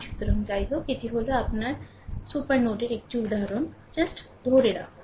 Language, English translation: Bengali, So, anyway; so, this is your what you call ah that one example of your supernode, right just hold on